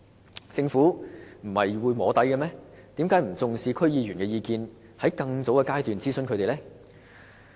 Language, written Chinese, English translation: Cantonese, 為何政府不重視區議員的意見，在更早的階段諮詢他們呢？, Why does it not attach importance to DC members opinions and consult their views at an earlier stage?